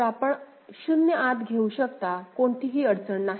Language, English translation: Marathi, So, you can take 0 inside, there is no problem ok